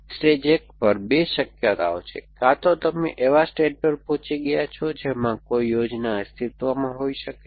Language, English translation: Gujarati, The stage 1, they are 2 possibilities that either you have reach the stage in which a plan may exists